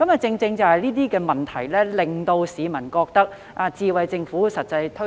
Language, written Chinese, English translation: Cantonese, 正正是類似問題，令市民覺得"智慧政府"未能成功推行。, Due precisely to such problems people do not think the implementation of Smart Government will be successful